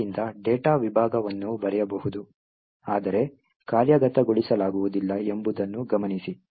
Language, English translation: Kannada, So, note that the data segment is writable but cannot be executed